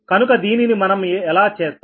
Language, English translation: Telugu, how we will do this